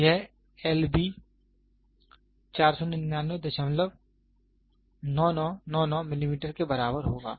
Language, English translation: Hindi, So, this L b will be equal to 499